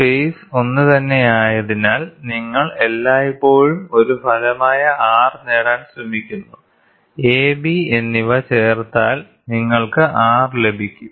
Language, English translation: Malayalam, Since the phase is the same, you always try to get a resultant R; which is added of A and B you get R